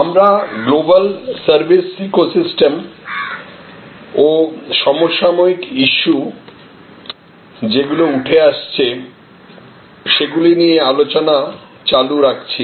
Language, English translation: Bengali, We are continuing our discussion on this Global Service Ecosystem and the emerging Contemporary Issues